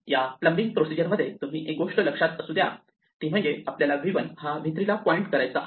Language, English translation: Marathi, Now notice that in this plumbing procedure we need to be at v 1 in order to make it point to v3